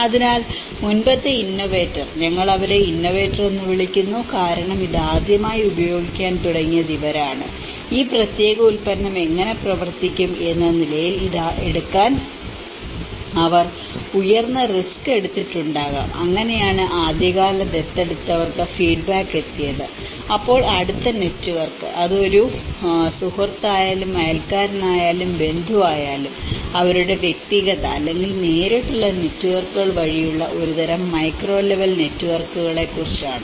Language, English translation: Malayalam, So, the earlier innovators, we call them as innovators because these are the first people who started using it, they might have taken a high risk to take this as how this particular product is going to work and then this is how the feedback have reached to the early adopters, so then the immediate network whether it is a friend, whether is a neighbour, whether it is the relative that is about a kind of micro level networks through their personal or a direct networks